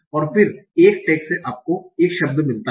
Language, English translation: Hindi, And then from a tag you get a word